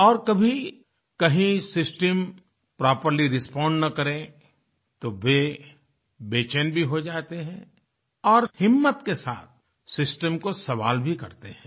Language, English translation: Hindi, And in the event of the system not responding properly, they get restless and even courageously question the system itself